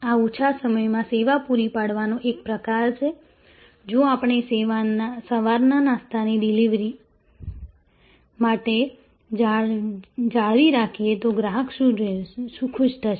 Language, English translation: Gujarati, This is the kind of average service time, if we maintain for breakfast delivery in the morning, the customer will be happy